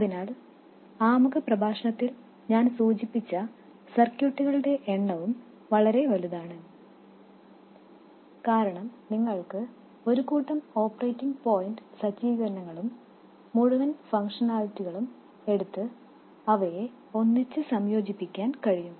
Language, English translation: Malayalam, So, the number of circuits that you see, this I alluded to in the introductory lecture also, is very large, because you can take a whole bunch of operating point setups, whole bunch of functionalities and combine them together